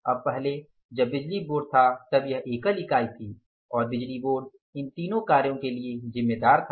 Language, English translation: Hindi, Now earlier when the power board was there that was a single entity and power board was responsible for all these three operations